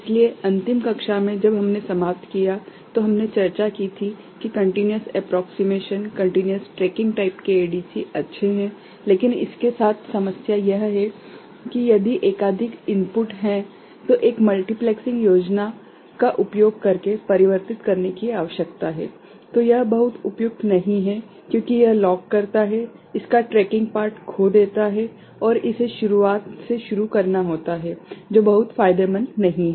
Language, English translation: Hindi, So, in the last plus when we ended, we discussed that continuous approximation, continues tracking type of ADC is good, but the problem with that is if multiple input is there; I mean, that need to be converted using a multiplexing kind of scheme, then it is not very suitable because it locks loses the tracking part of it and it is to begin from the beginning which is not very advantageous